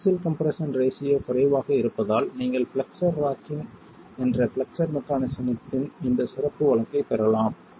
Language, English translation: Tamil, So, the axial stress ratio being low, you can get this special case of flexual mechanism which is flexible rocking